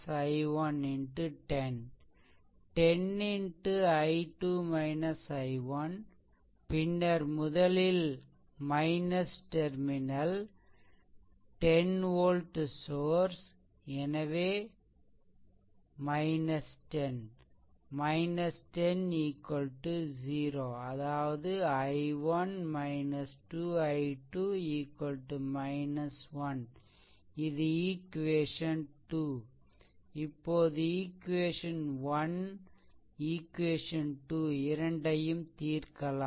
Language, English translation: Tamil, So, 10 into i 2 minus i 1 and then encountering minus terminal, first of this 10 volt source; so, minus 10; so, here it is minus 10 is equal to 0; that means, i 1 minus 2, i 2 is equal to minus 1, this is equation 1